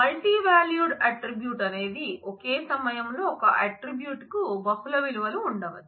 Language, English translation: Telugu, Multivalued attribute is one where one attribute may have multiple values at the same time